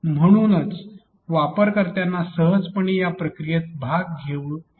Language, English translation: Marathi, And therefore, the particular user will not be able to go through the process easily